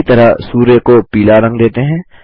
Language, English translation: Hindi, Similarly,lets colour the sun yellow